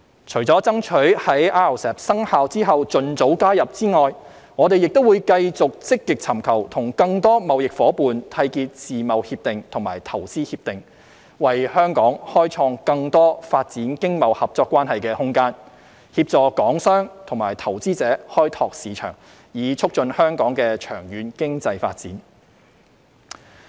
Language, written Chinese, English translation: Cantonese, 除了爭取在 RCEP 生效後盡早加入外，我們會繼續積極尋求與更多貿易夥伴締結自貿協定及投資協定，為香港開創更多發展經貿合作關係的空間，協助港商及投資者開拓市場，以促進香港的長遠經濟發展。, Apart from striving for early accession to RCEP after it takes effect we will continue to actively seek to forge FTAs and investment agreements with more trading partners open up more room for Hong Kongs development of economic and trade cooperation and assist Hong Kong companies and investors to explore markets so as to promote Hong Kongs long - term economic development